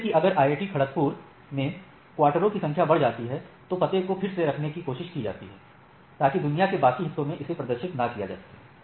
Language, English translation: Hindi, Like as again try to put on the analogy if the number of quarters in IIT Kharagpur increases the address need not to be to be published to whole rest of the world right